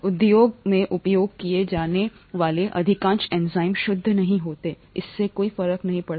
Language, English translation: Hindi, Most enzymes used in the industry are not pure, that doesn’t matter